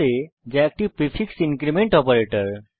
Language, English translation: Bengali, a is a prefix decrement operator